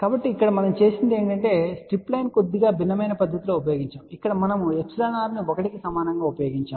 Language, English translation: Telugu, So, here what we have done the strip line has been used in a slightly different fashion here we have used epsilon r equal to 1